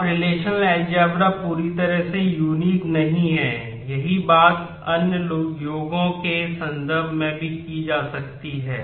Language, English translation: Hindi, Now, relational algebra is not something totally unique the same thing can be done in terms of other formulations also